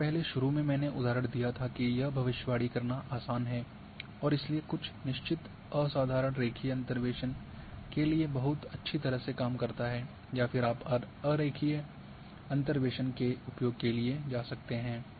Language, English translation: Hindi, Where initially earlier I gave the example it is easy to predict and therefore some for certain phenomenal linear interpolation works very well or then you can go for non linear interpolation